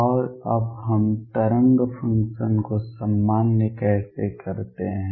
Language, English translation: Hindi, And now how do we normalize the wave function